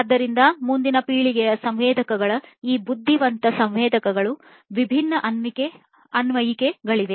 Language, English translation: Kannada, So, there are different applications of next generation sensors these intelligent sensors